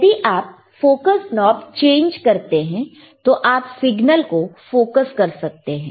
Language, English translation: Hindi, If you change the know focusing knob, you can focus the signal